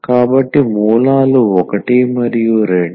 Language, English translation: Telugu, So, the roots are 1 and 2